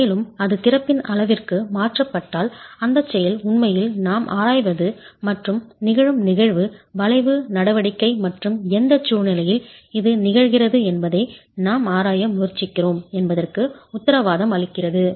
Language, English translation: Tamil, And if it does get transferred to the sides of the opening, what guarantees that action is actually what we are examining and the phenomenon that occurs is the arching action and under what conditions does this occur is what we are trying to examine